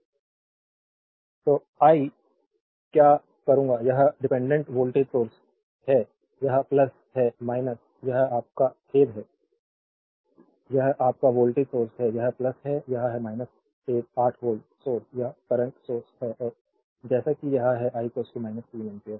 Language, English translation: Hindi, So, what I will do, this is dependent voltage source, this is plus minus, this is your sorry this is your voltage source, this is plus, this is minus 8 volt source, this is the current source right and as it is I is equal to minus 3 ampere